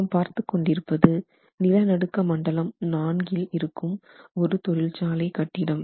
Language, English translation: Tamil, We were talking of a building sitting, an industrial building sitting in seismic zone 4